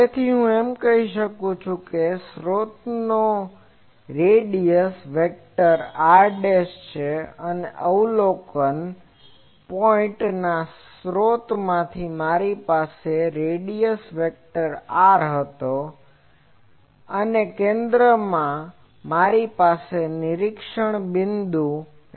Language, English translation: Gujarati, So, I can say that the radius vector of this source is r dashed and the from the source at the observation point, I had the radius vector R and from the center I have to the observation point P